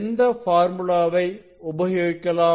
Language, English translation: Tamil, which formula we have used